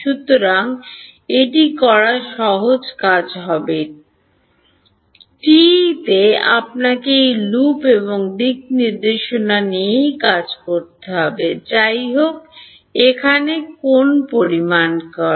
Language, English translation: Bengali, So, this is the easier thing to do, but in TE you have to take this loop and direction whatever